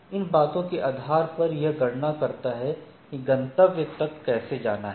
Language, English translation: Hindi, Based on the thing it calculates the how to go to the destinations